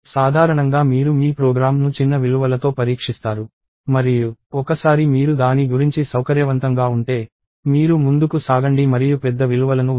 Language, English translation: Telugu, Usually you test your program with small values and once you are comfortable about that, then you go ahead and put larger values